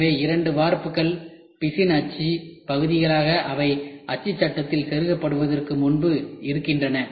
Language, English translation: Tamil, So, both cast resin mold halves these are two halves can be seen before being inserted in the mold frame ok